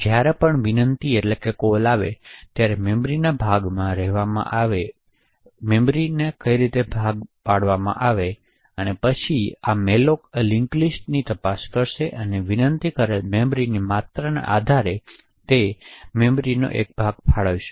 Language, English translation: Gujarati, In whenever a request occurs for a chunked of memory, then malloc would look into these linked lists and allocate a chunk of memory to that request depending on the amount of memory that gets requested